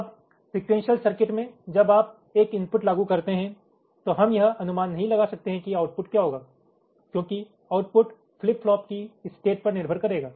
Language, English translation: Hindi, now, in the sequential circuit, when you apply a input, we cannot predict what the output will be, because the output will be dependent on this state of the flip flops